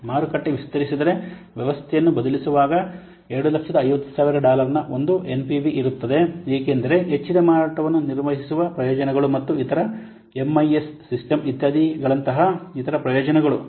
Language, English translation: Kannada, If the market expands replacing the system will have an NPV of $2,000 due to the benefits of handling increased sales and other benefits such as what enhanced MIS system, etc